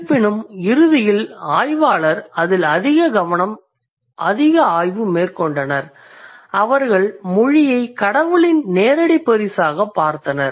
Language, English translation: Tamil, However, eventually what happened, the scholars, they started working more on it and the ceased to view language as a direct gift of God, not really